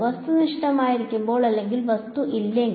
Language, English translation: Malayalam, When there is objective or there no object